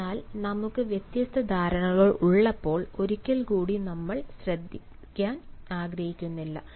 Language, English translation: Malayalam, so when we have different perceptions, once again we do not want to listen